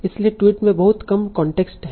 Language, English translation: Hindi, So tweets have very little context